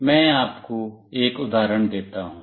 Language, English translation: Hindi, Let me give you an example